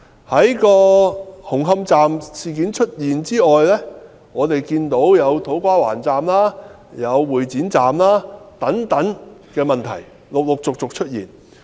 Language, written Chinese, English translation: Cantonese, 在紅磡站事件發生後，我們看到土瓜灣站、會展站等工程問題陸續出現。, After the Humg Hom incident was uncovered we noted a series of problems with the construction works at To Kwa Wan Station and Exhibition Centre Station